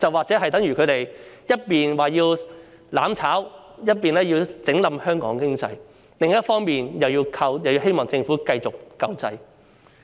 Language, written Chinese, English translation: Cantonese, 這就等於他們一邊廂說要"攬炒"，要拖垮香港經濟，另一邊廂卻又希望繼續得到政府救濟。, This amounts to seeking mutual destruction to drag down the Hong Kong economy on one hand but wishing to get relief continuously from the Government on the other